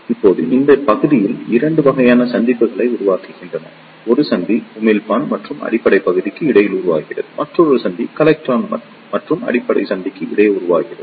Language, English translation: Tamil, Now, these regions form 2 types of junctions; one junction is formed between Emitter and Base region and another junction is formed between Collector and Base region